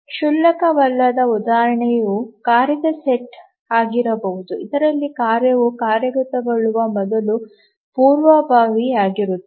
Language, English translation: Kannada, A non trivial example can be a task set in which the task is preempted before completion